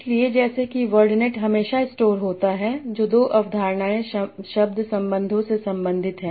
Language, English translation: Hindi, Now, so as such word net will always store which two concepts are related by work relations